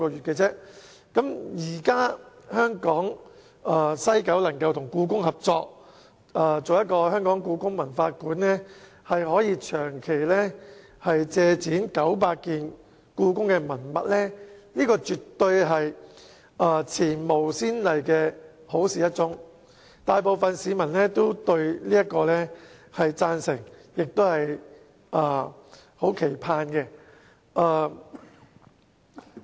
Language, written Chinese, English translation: Cantonese, 現在西九文化區管理局能夠與故宮博物院合作，設立故宮館，可以長期借展900件故宮文物，這絕對是前無先例的好事一宗，大部分市民對此也表示贊成和期盼。, But now the West Kowloon Cultural District Authority WKCDA can join hands with the Beijing Palace Museum to establish HKPM and borrow 900 relics from the Beijing Palace Museum on a long - term basis . This unprecedented development is certainly a good thing which is supported by the majority of the public with anticipation